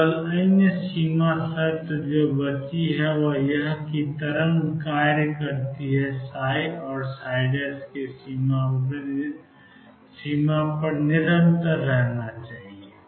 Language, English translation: Hindi, The only other boundary condition that remains is that the wave function psi and psi prime be continuous at the boundary